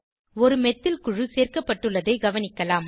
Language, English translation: Tamil, You will notice that a Methyl group has been added